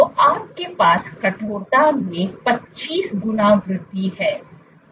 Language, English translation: Hindi, So, you have a 25 fold increase in stiffness